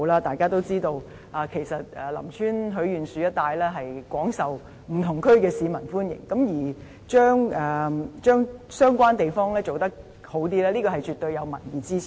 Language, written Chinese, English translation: Cantonese, 大家也知道，其實林村許願樹一帶廣受不同地區市民的歡迎，而把相關地方優化，絕對是有民意支持的。, As we all know the Lam Tsuen Wishing Tree is very popular with people from various districts and enhancement of the relevant places definitely has popular support